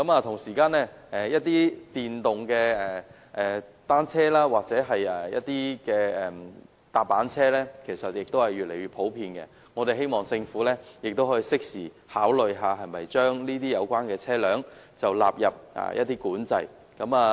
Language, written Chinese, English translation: Cantonese, 同時，一些電動單車或踏板車也越來越普遍，希望政府能夠適時考慮是否把有關車輛納入管制範圍。, In the meantime as motor - driven bicycles or scooters are gaining popularity we hope that the Government can consider in a timely manner bringing them into the ambit of regulation